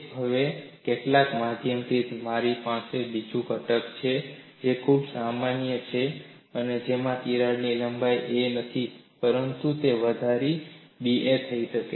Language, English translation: Gujarati, Now, by some means, I have another component which is very similar, where in the crack length is not a, but it is incrementally increased to d a